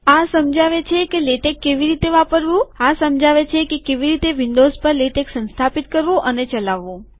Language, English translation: Gujarati, These explain how to use latex, this explains how to install and run latex on windows